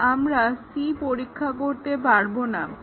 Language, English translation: Bengali, So, we cannot test C